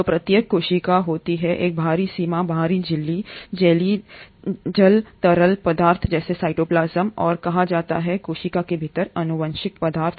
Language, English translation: Hindi, So each cell consists of an outer boundary, the outer membrane, the jellylike fluid called the cytoplasm and the genetic material within the cell